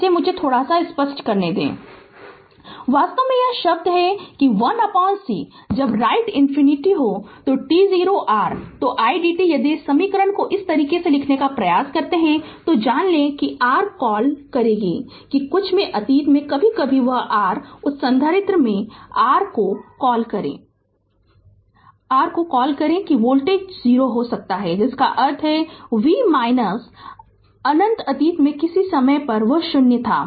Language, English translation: Hindi, Actually this term that 1 by c when you write minus infinity to t 0 right your then i dt if you if you try to write this equation this way, we you know that your what you call that in in some in the past sometime that your what you call that your in that capacitor right that voltage may be 0 that mean that v minus infinity at some time in the past it was 0 right